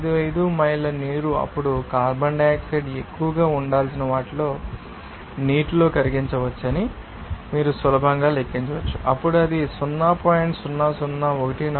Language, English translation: Telugu, 55 miles of water then you can easily calculate what should be the most of carbon dioxide will be dissolved in the water then it will be equal to 0